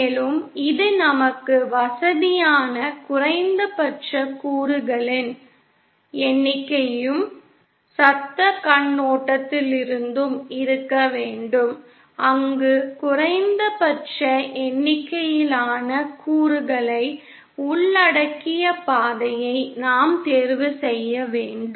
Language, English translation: Tamil, And also it should have the minimum number of components that makes us convenient also and from a noise perspective also where we have to choose the path which involves the minimum number of components